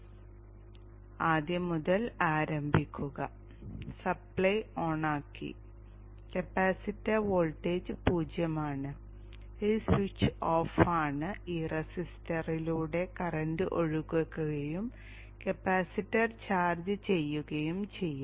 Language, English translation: Malayalam, Okay so now start from the beginning the supply is turned on, capacitor voltage is zero, this switch is off, the current flows through this resistor and charges of the capacitor